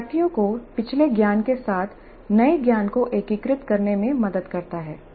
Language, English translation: Hindi, Help the learners integrate the new knowledge with the previous knowledge